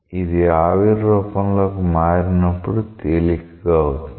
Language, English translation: Telugu, So, when it becomes vapor phase, it becomes lighter